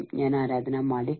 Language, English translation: Malayalam, I am Aradhna Malik